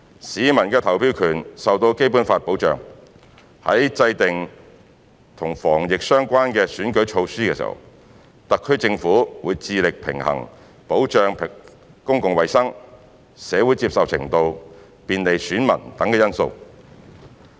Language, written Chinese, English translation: Cantonese, 市民的投票權受到《基本法》保障，在制訂與防疫相關的選舉措施時，特區政府會致力平衡保障公共衞生、社會接受程度、便利選民等因素。, The voting rights of citizens are protected by the Basic Law . When formulating measures that are related to the prevention of COVID - 19 in the election the Hong Kong Special Administrative Region HKSAR Government will endeavour to strike a balance among factors like public health protection social acceptance electors facilitation etc